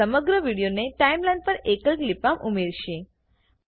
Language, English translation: Gujarati, This will add the entire video to the Timeline in a single clip